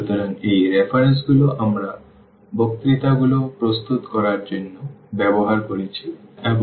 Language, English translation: Bengali, So, these are the references I used for preparing the lectures and